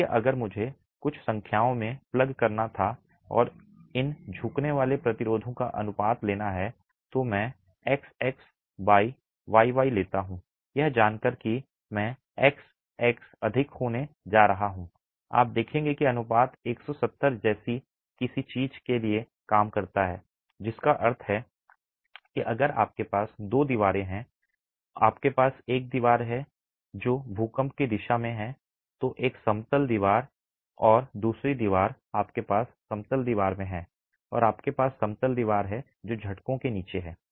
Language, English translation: Hindi, So, if I were to then plug in some numbers and take the ratio of these bending resistances, I take I xx by IYY, knowing that I XX is going to be higher, you will see that the ratio works out to something like 170 which means if you have two walls you have a wall which is in the direction of the earthquake the in plain wall and the other wall you have the in plain wall and you have the out of plane wall under shaking